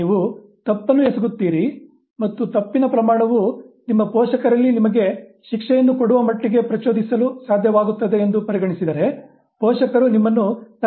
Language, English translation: Kannada, Now, you commit an error and if the magnitude of the error is considered by your parents to be able to trigger punishment, you are immediately scolded